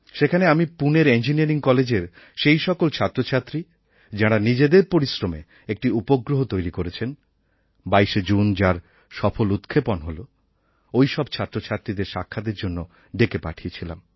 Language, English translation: Bengali, Over there I met those students of the Pune College of Engineering, who on their own have made a satellite, which was launched on 22nd June